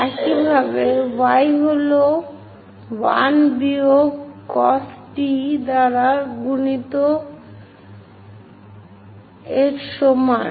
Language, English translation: Bengali, Similarly, y is equal to a multiplied by 1 minus cos t